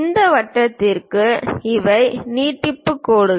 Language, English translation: Tamil, For this circle these are the extension lines